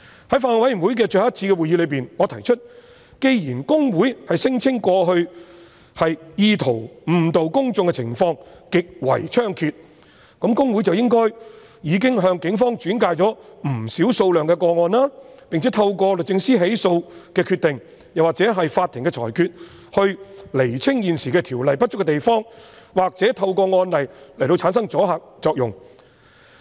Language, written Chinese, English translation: Cantonese, 在法案委員會最後一次的會議上，我提出既然公會聲稱過去意圖誤導公眾的情況極為猖獗，那麼公會理應向警方轉介不少個案，並且透過律政司作出起訴的決定或取得法庭的裁決，以釐清現時《條例》不足的地方，或透過案例來產生阻嚇作用。, At the last meeting of the Bills Committee I mentioned that since HKICPA claimed that cases intending to mislead the public were rampant HKICPA should have referred many cases to the Police and decisions of prosecution should have been made through the Department of Justice or judgments should have been obtained from the courts to clarify the inadequacies of the existing Ordinance or produce a deterrent effect by establishing precedents